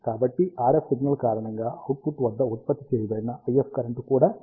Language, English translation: Telugu, So, the IF currents produced at the output are also in phase because of the RF signal